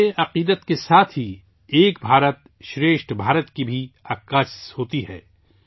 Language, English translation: Urdu, Along with inner faith, it is also a reflection of the spirit of Ek Bharat Shreshtha Bharat